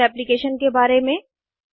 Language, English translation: Hindi, About Jmol Application